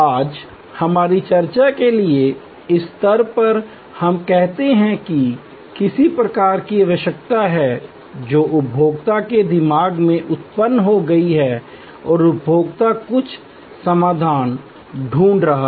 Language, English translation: Hindi, At this stage for us our discussion today, we say that there is some kind of need that has been triggered in the consumer's mind and the consumer is looking for some solution